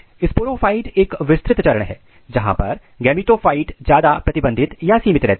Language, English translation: Hindi, Sporophyte is an extensive phase whereas, gametophyte is more restricted